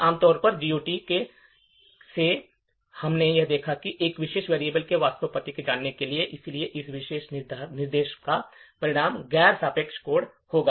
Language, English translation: Hindi, Now, typically without GOT we would require to know the actual address of this particular variable and therefore this particular instruction would result in non relocatable code